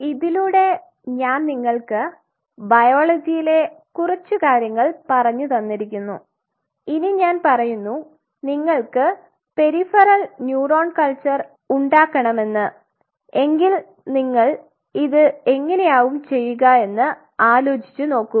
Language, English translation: Malayalam, Now, having said this having give you a very small layer of the biology here now I say that you want to culture neurons sure you want to culture peripheral neurons, but then you have to know could you achieve this how you are going to do this think of it